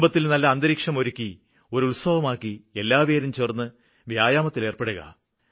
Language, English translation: Malayalam, Create this type of mood in the family, make it a celebration, all should get together for an hour to do these exercises